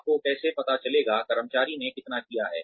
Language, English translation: Hindi, How will you find out, how much the employee has done